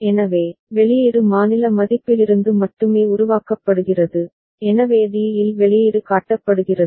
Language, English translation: Tamil, So, output is generated solely from the state value, so at d the output is shown